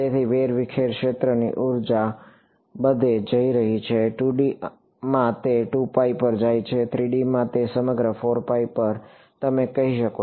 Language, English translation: Gujarati, So, the scattered field energy is going everywhere, in 2 D its going over 2 pi, in 3 D its going over the entire 4 pi you can say